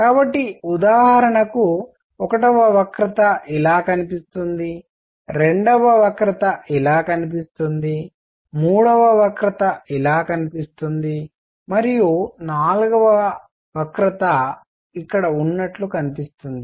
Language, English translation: Telugu, So, for example one curve looks like this, the second curve looks like this, third curve looks like this and the fourth curve looks like right here